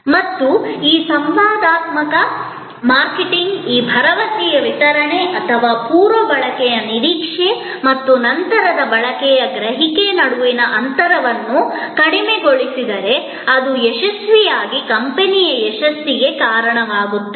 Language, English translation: Kannada, And if this interactive marketing this delivery of the promise or narrowing of the gap between the pre consumption expectation and post consumption perception happen successfully it leads to the company success